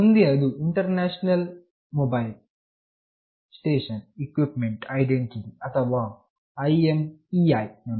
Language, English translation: Kannada, The next one is International Mobile station Equipment Identity, or IMEI number